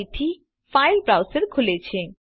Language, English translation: Gujarati, Again, the file browser opens